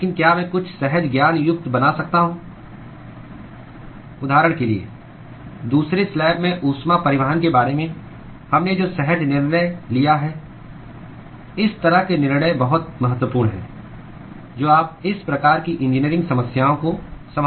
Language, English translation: Hindi, But can I make some intuitive for example, the intuitive judgment we made about heat transport in second slab such kind of judgments is very, very important when you are handling these kinds of engineering problems